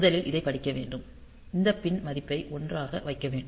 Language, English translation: Tamil, So, first of all, so we have to read this, we have to put this pin value to 1